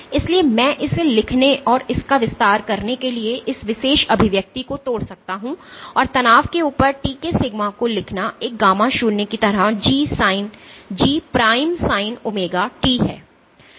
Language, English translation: Hindi, So, I can break down this particular expression to write and expand it and write sigma of t is over a stress as gamma naught into G prime sin omega t